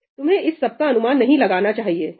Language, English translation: Hindi, You should not assume anything about that